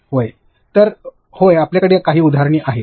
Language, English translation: Marathi, So, yeah you have few examples